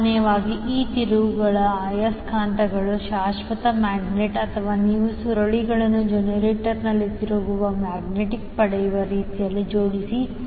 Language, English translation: Kannada, So, generally these rotating magnets are either permanent magnet or you arrange the coils in such a way that you get the rotating magnet in the generator